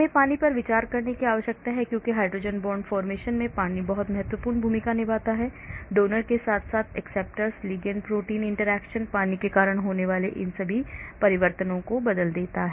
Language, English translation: Hindi, We need to consider water because water plays a very important role in hydrogen bond formation, donor as well as acceptor, ligand protein interactions, changes the conformation all these happens because of water